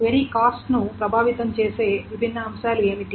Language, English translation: Telugu, So what are the different things that affect the query cost